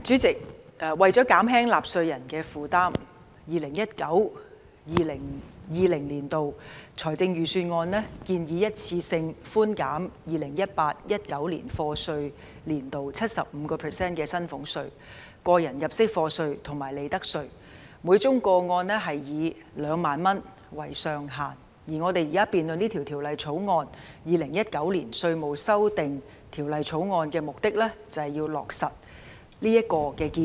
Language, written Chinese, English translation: Cantonese, 主席，為減輕納稅人的負擔 ，2019-2020 年度的財政預算案建議一次性寬減 2018-2019 課稅年度 75% 的薪俸稅、個人入息課稅及利得稅，每宗個案以2萬元為上限，而我們現時辯論的《2019年稅務條例草案》的目的，便是為了落實這建議。, Chairman as a means to reduce the burden of taxpayers the 2019 - 2020 Budget proposes a one - off deduction for salaries tax tax under personal assessment and profits tax by 75 % for the 2018 - 2019 assessment year subject to a ceiling of 20,000 for each case . The Inland Revenue Amendment Bill 2019 the Bill now under debate precisely seeks to implement this proposal